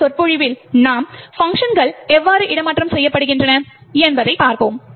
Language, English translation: Tamil, In the next lecture we will see how functions are made relocatable